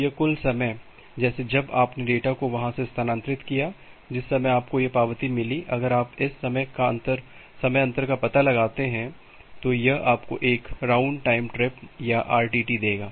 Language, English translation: Hindi, So, this total time like the moment you have transmitted the data from there the moment that you have received an acknowledgement, if you find out this timing difference; this will give you a round trip time or an RTT